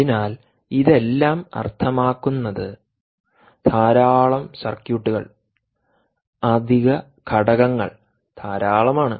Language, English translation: Malayalam, so all this means a lot of circuitry, lot of additional components